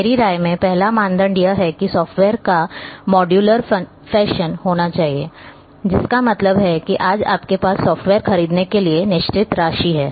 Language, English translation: Hindi, The first criteria in my opinion is that the software should be modular fashion that means, today you are having certain amount of funds you buy the software